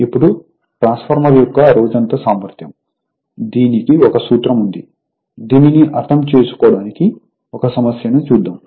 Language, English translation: Telugu, Now, all day efficiency of a transformer; it has formula we will take 1 numerical for that you will understand the thing